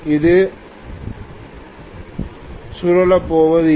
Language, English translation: Tamil, It is not going to rotate